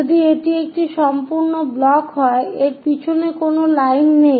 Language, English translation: Bengali, If it is a complete block, there is no line behind that